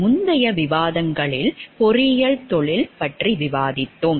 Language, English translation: Tamil, In the previous discussions, we have discussed about the profession of engineering